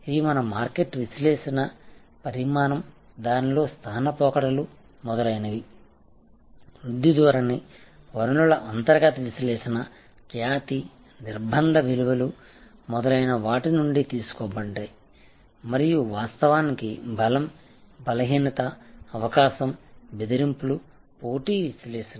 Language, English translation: Telugu, These are derived out of our market analysis, size, , location trends in it etc, in a growth trend, internal analysis of resources, reputation, constrained values etc, and of course, strength, weakness, opportunity, threats, competitive analysis